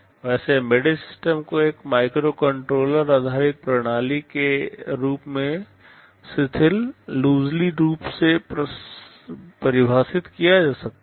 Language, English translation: Hindi, Well embedded system can be loosely defined as a microcontroller based system